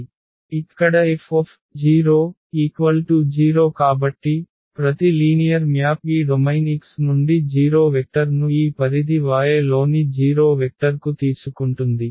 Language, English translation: Telugu, So, here F 0 so; that means, that every linear map takes the 0 vector from this domain X to the 0 vector in this range Y